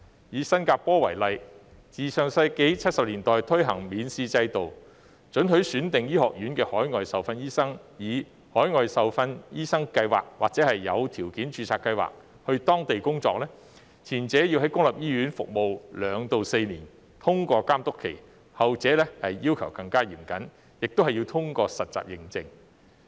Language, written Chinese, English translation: Cantonese, 以新加坡為例，自上世紀70年代推行免試制度，准許選定醫學院的海外受訓醫生透過海外受訓醫生計劃或有條件註冊計劃，到當地工作，前者要在公立醫院服務2年至4年，並通過監督期；後者要求更嚴謹，亦要通過實習認證。, Since 1970s in the last century it has implemented an examination - free system allowing overseas trained doctors from selected medical schools to work there through an overseas medical training scheme or a conditional registration scheme . Under the former one needs to serve in a public hospital for two to four years and pass the supervision period . Under the latter with even more stringent requirements one has to pass the accreditation for housemanship